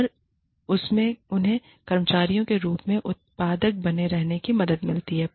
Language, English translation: Hindi, And, that helps them stay productive, as employees